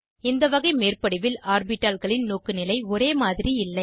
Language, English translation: Tamil, In this type of overlap, orientation of the orbitals is not same